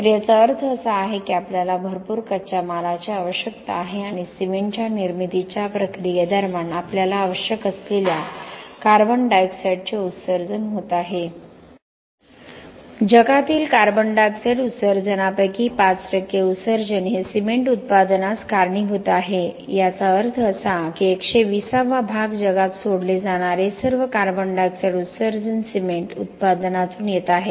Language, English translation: Marathi, So this means that we require a lot of raw materials and during the process of the manufacturing of cement we need we are emitting a lot of CO2, 5 percent of the CO2 emissions in the world is attributed to cement manufacturing that means that 120th part of all the CO2 emissions given off in the world are coming from cement manufacturing